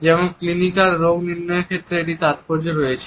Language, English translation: Bengali, For example, there are significant in clinical diagnosis